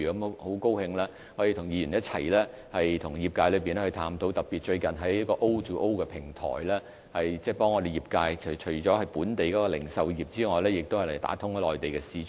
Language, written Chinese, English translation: Cantonese, 我很高興可以與議員一起和業界探討，特別最近在 O2O 的平台上，政府正協助本地的業界，包括本地的零售業，打通內地市場。, I am very glad that I can discuss these matters with Members and the industry . In particular recently the Government has been helping the local industries including the retail industry through the O2O platform to open up the Mainland markets